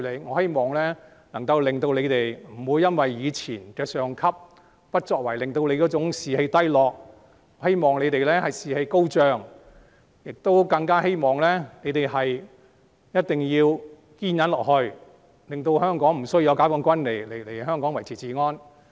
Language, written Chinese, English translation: Cantonese, 我希望能夠令警隊不要因為以往上級的不作為而士氣低落，我希望他們士氣高漲，我更希望他們一定要堅忍下去，令香港無須解放軍來維持治安。, I hope the morale of the Police Force will not be weakened because of the inaction of their superior in the past . I hope they will have high morale and I hope they will and must persevere so that Hong Kong will not need to rely on PLA to maintain law and order